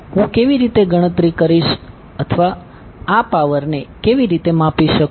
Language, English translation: Gujarati, How will calculate or how will measure this power